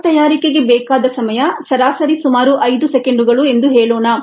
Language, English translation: Kannada, the time that is needed for the manufacture of a bolt is, on the average, about five seconds